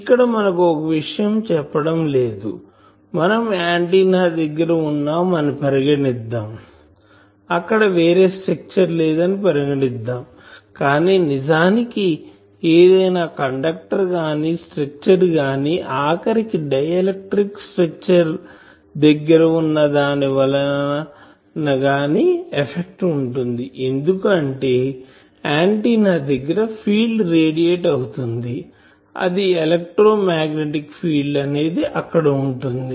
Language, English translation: Telugu, Then here one thing we are not saying that, we are assuming that near the antenna, there is no other structure, but in reality any conductor any structure even a dielectric structure nearby that will affect, because antenna is radiating a field that electromagnetic field will go there